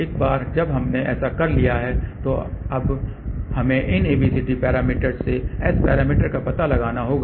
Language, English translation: Hindi, Once we have done that, now we have to find the S parameters from these ABCD parameters